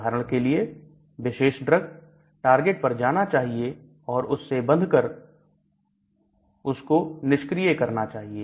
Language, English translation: Hindi, So for example you want the particular drug go and bind to that target and make the target inactive